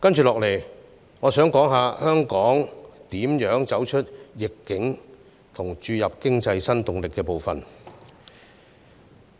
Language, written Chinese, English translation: Cantonese, 接下來，我想談談香港如何走出逆境和注入經濟新動力的部分。, Next I would like to talk about the parts on how Hong Kong can overcome adversity and inject new impetus into the economy